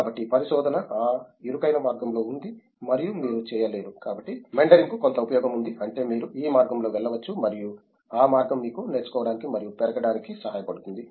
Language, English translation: Telugu, So, research is within that narrow path and you cannot you cannot, so meandering has some use I mean you can go this way and that way helps you learn and grow